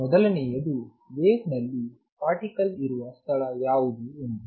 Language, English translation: Kannada, Number one is where in the wave Is the particle located